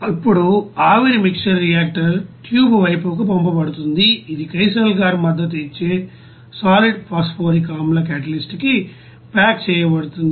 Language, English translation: Telugu, Now the vapor mixer is then sent to the reactor tube side which is packed to the solid phosphoric acid catalyst supported on the kieselguhr